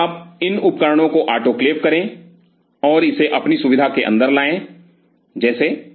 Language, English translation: Hindi, So, you get these instruments autoclaved and bring it inside your facility like